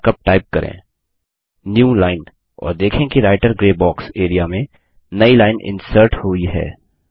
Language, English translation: Hindi, Simply type the markup newline and notice that a new line is inserted in the Writer gray box area